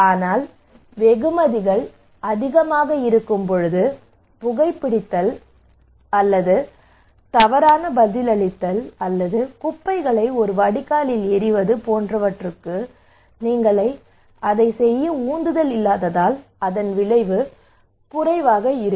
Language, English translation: Tamil, But when the rewards are high for let us say for smoking or maladaptive response or throwing garbage in a drain and the consequence is lesser then you are not motivated to do it